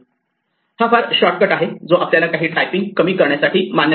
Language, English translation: Marathi, This is a very convenient shortcut which allows us to save some typing